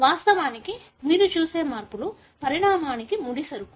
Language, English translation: Telugu, In fact, the changes that you see are the raw material for evolution